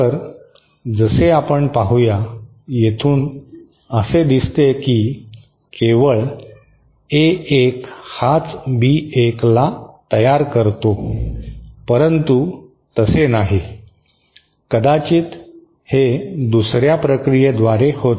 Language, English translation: Marathi, So, as we shall see, this is, from here it might appear as if only A1 can give rise to B1 but that is not the case, it might be that through another process